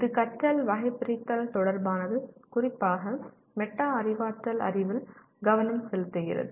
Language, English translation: Tamil, It is related to Taxonomy of Learning particularly with focus on Metacognitive Knowledge